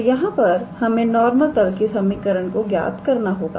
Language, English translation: Hindi, So, here we have to find out the equation of the normal plane